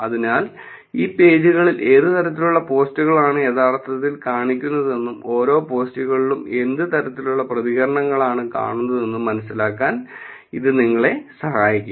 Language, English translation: Malayalam, So, this will help you to get a sense of what are kind of posts are actually showing up on these pages, and what kind of reactions are being seen on for these posts also